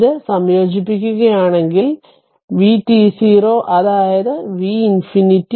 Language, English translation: Malayalam, If you integrate this, it will be if you integrate this one, it will be v t 0 minus say v minus infinity